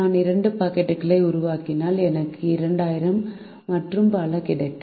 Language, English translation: Tamil, if i make two packets, i would get two thousand, and so on